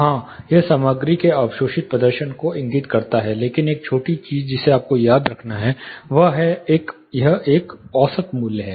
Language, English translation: Hindi, Yes, it indicates the materials absorbing performance, but one short note you have to remember, it is an average value